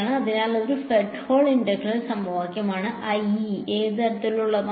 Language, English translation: Malayalam, So, it is a Fredholm integral equation IE, of which kind which kind